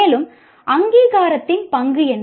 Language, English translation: Tamil, And then what is the role of accreditation